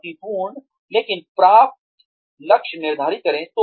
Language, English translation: Hindi, Set challenging, but achievable goals